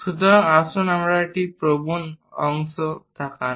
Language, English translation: Bengali, So, let us look at an inclined section